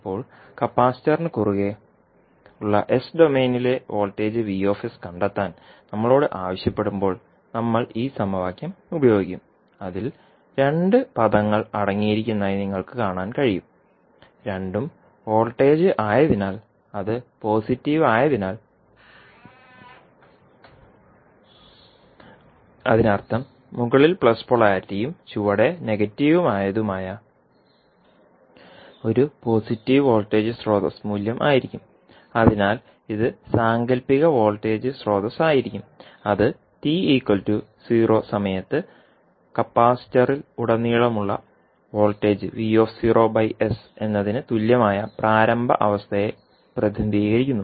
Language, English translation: Malayalam, Now, when we are asked to find out the voltage vs in s domain across the capacitor so, we will use this equation and you can simply see that it contains two terms and both are since it is the voltage so, both terms can be a voltage terms and since it is a positive it means that a positive voltage source that is plus polarity on the top and negative at the bottom will be the value so, this will be the fictitious voltage source that is v at time is equal to 0 by s which will represent the initial condition that is the voltage across capacitor at time is equal to 0